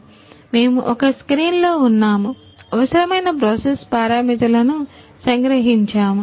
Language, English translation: Telugu, So, we are in a one screen we summarize the all whatever the required process parameters